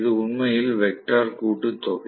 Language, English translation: Tamil, So, this is actually the vectorial sum